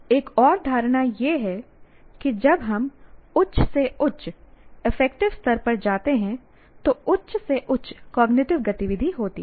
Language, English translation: Hindi, And also another assumption is as we go up in the higher and higher affective levels, there is higher and higher cognitive activity also associated with that